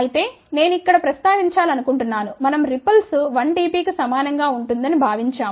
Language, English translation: Telugu, Of course, I just to want to mention here we had assumed ripple to be equal to 1 dB